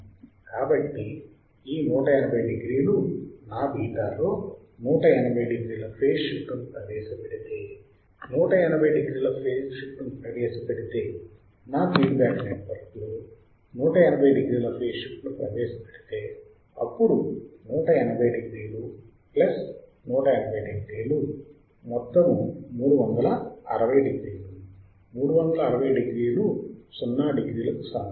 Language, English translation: Telugu, So, this 180 degree if I introduce a phase shift of 180 degrees in my beta, if I introduce a phase shift of 180 degree in my feedback network, then 180 degree plus 180 degree, there will be my 360 degree 360 degree is equal to 0 degree correct, 0 and 360 degree are same